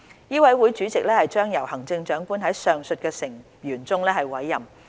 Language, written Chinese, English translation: Cantonese, 委員會主席將由行政長官在上述成員中委任。, The chairman of SRC will be appointed from the aforesaid members by the Chief Executive